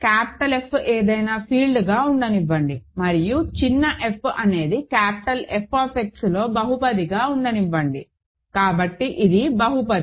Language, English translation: Telugu, Let capital F be any field and let small f be a polynomial in capital F X ok, so this is a polynomial